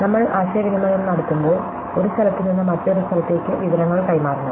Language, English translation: Malayalam, So, when we communicate, we have to transmit information from one place to another place